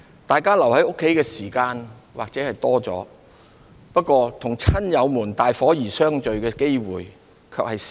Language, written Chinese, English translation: Cantonese, 大家留在家中的時間也許多了，與親友們大伙兒相聚的機會卻少了。, We might have spent more time at home but we have fewer opportunities to gather with our relatives and friends